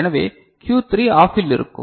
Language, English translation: Tamil, So, Q3 will be OFF